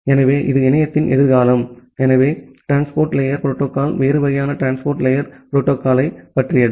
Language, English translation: Tamil, So that is possibly the future of internet, so that is all about the transport layer protocol a different kind of transport layer protocol